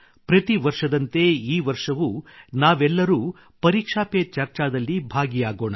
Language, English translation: Kannada, Like every year, this year too we will have 'Pariksha Pe Charcha'